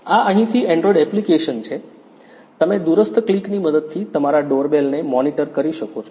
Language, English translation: Gujarati, This is the android app from here you can monitor your doorbell using the remote click